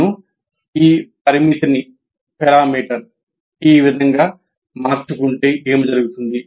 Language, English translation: Telugu, If I change this parameter this way, what happens